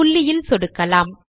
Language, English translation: Tamil, Click at the dot